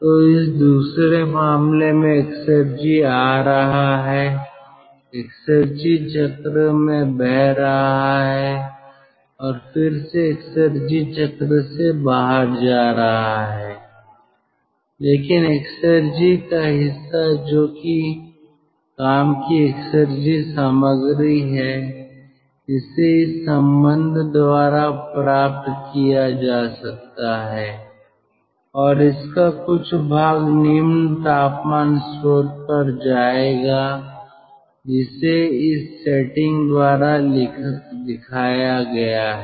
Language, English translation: Hindi, so in this case, in the second case, exergy is coming in, ah, exergy is flowing into the cycle and again exedy is going out of the cycle, but part of the exergy, it is the exergy content of work which can be ah obtained by this relationship, and part of this will be going to the low temperature source and that is shown by the setting